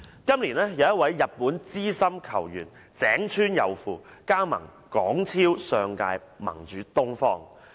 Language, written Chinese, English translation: Cantonese, 今年有一位日本資深球員井川祐輔加盟香港超級聯賽上屆盟主"東方"。, This year a Japanese football player Yusuke IGAWA joined Eastern the football club that won the last champion of the Hong Kong Premier League